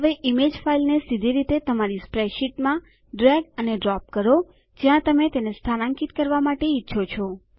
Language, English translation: Gujarati, Now drag and drop the image file directly into your spreadsheet wherever you want to place it